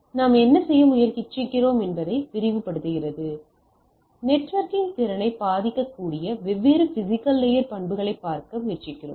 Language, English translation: Tamil, So, this lectures what we are trying to do we are trying to look at different physical layer properties which may affect our networking capacity right